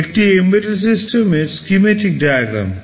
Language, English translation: Bengali, This is a schematic diagram of an embedded system